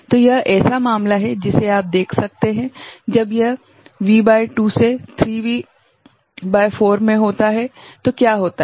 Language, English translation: Hindi, So, this is the case that you can see, when it is in this range plus V by 2 to 3V by 4 then what happens